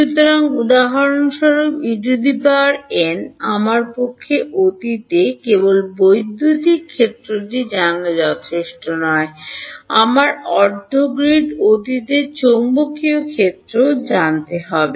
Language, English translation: Bengali, So, for example, E n it is not enough for me to just know electric field at the past I also need to know magnetic field at half grid past